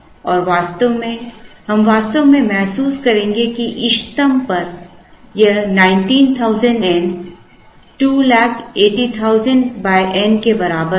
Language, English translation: Hindi, And at the optimum, we actually would realize that this 19,000 n will be equal to 280,000 divided by n